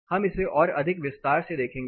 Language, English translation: Hindi, We look at it more in detail